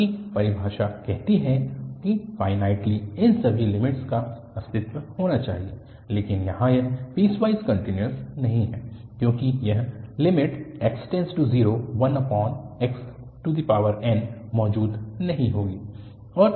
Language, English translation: Hindi, Because, the definition says that all these limits should exist finitely, but here it is not piecewise continuous because this limit at x 0 plus fx does not exist